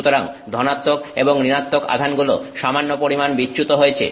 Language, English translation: Bengali, So, the positive and negative charges are slightly displaced